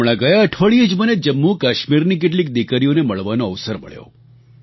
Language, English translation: Gujarati, Just last week, I had a chance of meeting some daughters of Jammu & Kashmir